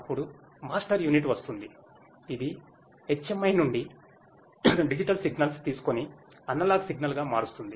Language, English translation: Telugu, Then, comes the master unit which takes the digital signals from the HMI and then, converts to the analog signal